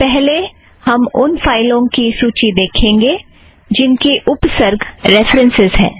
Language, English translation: Hindi, Let us first get a listing of the files whose prefixes – references